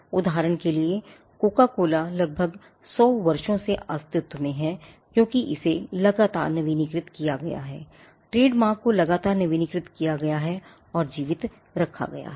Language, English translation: Hindi, For instance, Coca Cola has been in existence for about 100 years, because it has been constantly it renewed the trademark has been constantly renewed and kept alive